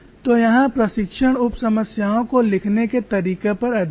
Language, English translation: Hindi, So the whole challenge lies in writing out the sub problems